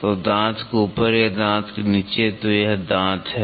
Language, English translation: Hindi, So, on top of the tooth or bottom of the tooth, then this is the tooth